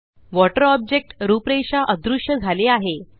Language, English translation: Marathi, The outline of water object becomes invisible